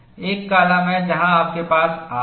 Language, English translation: Hindi, There is a column, where you have R